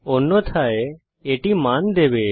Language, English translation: Bengali, Instead it will give the value